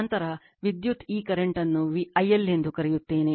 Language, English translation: Kannada, Then the power then the your what you call this current is I L